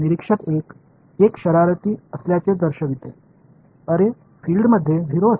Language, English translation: Marathi, Observer 1 being a mischief says oh field inside a 0